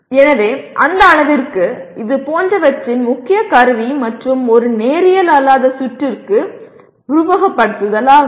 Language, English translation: Tamil, So to that extent the main tool of studying such and that to a nonlinear circuit is simulation